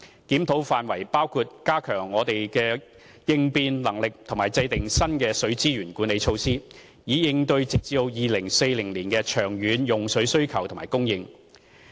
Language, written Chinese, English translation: Cantonese, 檢討範圍包括加強我們的應變能力及制訂新的水資源管理措施，以應對直至2040年的長遠用水需求及供應。, The areas under review include how to strengthen our resilience and identify new water management initiatives to meet the long - term water demand and supply up to 2040